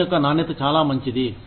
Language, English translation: Telugu, The quality of work becomes, much better